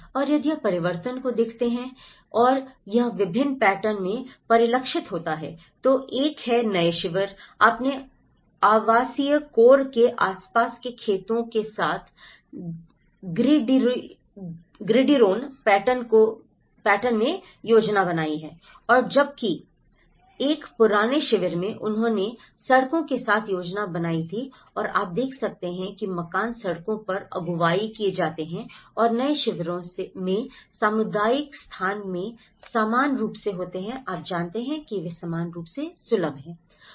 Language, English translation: Hindi, And if you look at the transformation and how it is reflected in different patterns, one is the new camps, you have planned in a gridiron pattern with farmlands around the residential core and whereas, an old camp they planned along with the streets and you can see that the houses are led along the streets and also the community spaces in the new camps they are equally shared you know, they are equally accessible